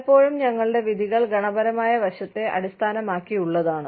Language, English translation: Malayalam, A lot of times, our judgements are based on, qualitative aspect